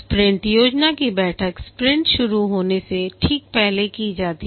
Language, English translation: Hindi, The sprint planning meeting, it is undertaken just before a sprint starts